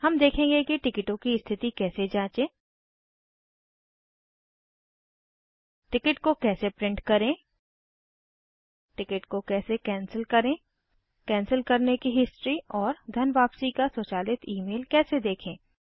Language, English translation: Hindi, How to print a ticket, How to cancel a ticket, How to see the history of cancellation and an automated Email of refund